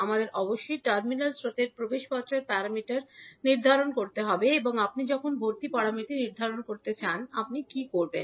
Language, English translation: Bengali, We have to determine the admittance parameter of the terminal currents and when you want to determine the admittance parameter, what you will do